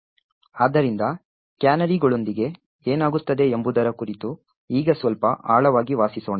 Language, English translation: Kannada, So, now let us dwell a little more deeper into what actually happens with canaries